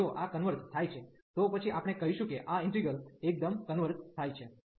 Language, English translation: Gujarati, So, if this converges, then we call that this integral converges absolutely